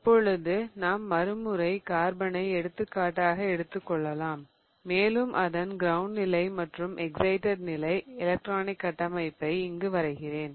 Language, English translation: Tamil, So, let's take the example of carbon again and I have drawn here the ground state and the excited state electronic configuration